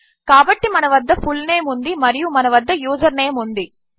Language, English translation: Telugu, So, we have got fullname and now we have username